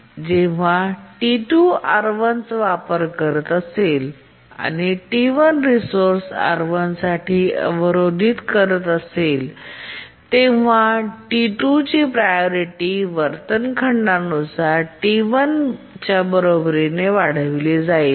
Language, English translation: Marathi, When T2 is using R1 and T1 is blocking for the resource R1, T2's priority gets enhanced to be equal to T1 by the inheritance clause